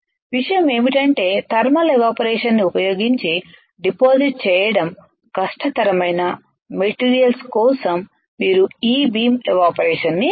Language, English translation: Telugu, The point is that you can use E beam evaporation for the materials which are difficult to be deposited using thermal evaporator using as a stiff heating alright